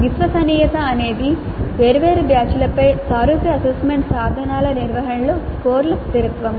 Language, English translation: Telugu, Reliability is consistency of scores across administration of similar assessment instruments over different batches